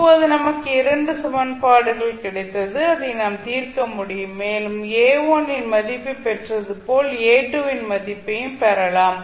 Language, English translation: Tamil, So now we got 2 equations and we can solved it and we can get the value of A2 and similarly we can get the value of A1